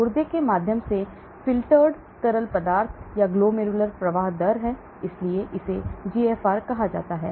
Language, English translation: Hindi, Glomerular flow rate of filtered fluid through the kidney, so this is called a GFR